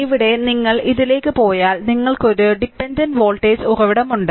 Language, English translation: Malayalam, So, here if you go to this that it is look here, you have a dependent voltage source right